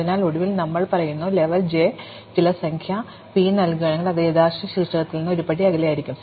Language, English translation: Malayalam, So, eventually we say that, if level j is assign some number p, it must be p steps away from the original vertex